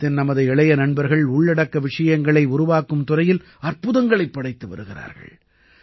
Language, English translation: Tamil, Our young friends in India are doing wonders in the field of content creation